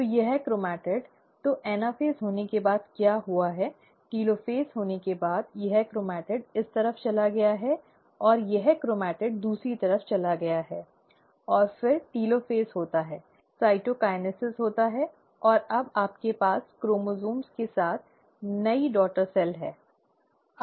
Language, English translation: Hindi, So this chromatid, so what has happened after the anaphase has taken place, after the telophase has taken place; this chromatid has gone onto this side, and this chromatid has gone onto the other side, and then the telophase happens, cytokinesis takes place, and now you have the new daughter cell with the chromosomes